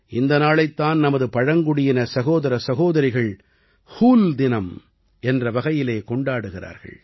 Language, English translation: Tamil, Our tribal brothers and sisters celebrate this day as ‘Hool Diwas’